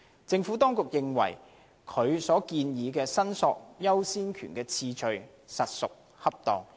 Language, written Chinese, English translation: Cantonese, 政府當局認為，所建議的申索優先權次序實屬恰當。, The Administration considers its proposed order of priority for claiming for the return of ashes appropriate